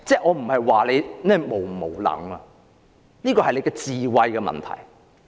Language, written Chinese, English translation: Cantonese, 我不是說他是否無能，這是智慧的問題。, I am not saying that whether he is incompetent or not because this is a matter of wisdom